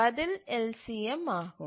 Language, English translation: Tamil, So, the answer to that is LCM